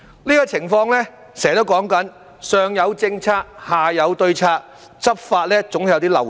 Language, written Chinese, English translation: Cantonese, 這種情況就是我常說的"上有政策、下有對策"，執法上總有些漏動。, As regards this situation I often say those above have policies while those below have their own countermeasures for there are always loopholes in law enforcement